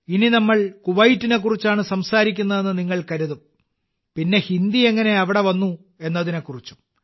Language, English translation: Malayalam, Now you might think that since we are talking about Kuwait, how did Hindi get there